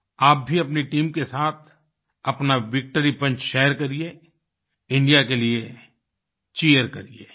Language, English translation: Hindi, Do share your Victory Punch with your team…Cheer for India